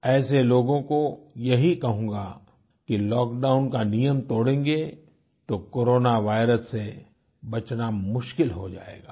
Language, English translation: Hindi, To them I will say that if they don't comply with the lockdown rule, it will be difficult to save ourselves from the scourge of the Corona virus